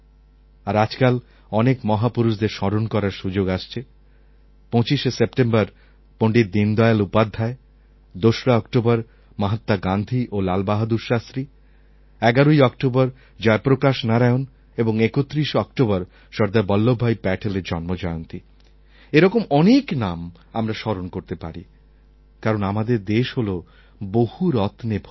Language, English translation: Bengali, 25th September we shall remember Pandit Deendayal Upadhaya, Mahatma Gandhi and Lal Bahadur Shastri on the 2nd of October, Jai Prakash Narayan ji on 11th October, Sardar Vallabh Bhai Patel on 31st October and there are innumerable names, I have mentioned just a few because our country has an unending list of such gems